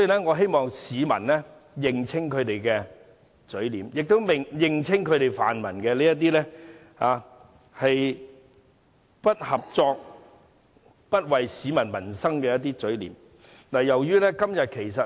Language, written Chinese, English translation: Cantonese, 我希望市民認清泛民的嘴臉，認清他們這種不合作、不為民生着想的態度。, I hope members of the public will discern the true nature of the pan - democrats as well as their non - cooperative attitude in respect of peoples livelihood